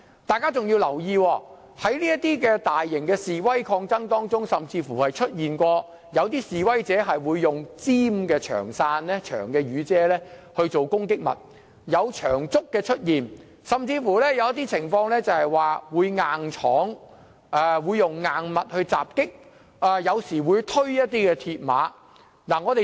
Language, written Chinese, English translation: Cantonese, 大家更要留意，在這些大型示威抗爭中，甚至曾有示威者以尖銳的長傘作為攻擊物，亦曾出現長竹，更有人硬闖或以硬物襲擊他人，有時候亦會推倒鐵馬。, We also notice that in these large - scale protests some protesters even used sharp umbrellas as weapons of attack . Long bamboos were also used . Some people charged with force or used hard objects to attack others while mills barriers were pushed down in some occasions